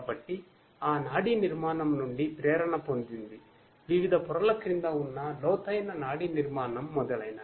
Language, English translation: Telugu, So, inspired from that neural structure, the deep neural structure that is underneath different different layers etc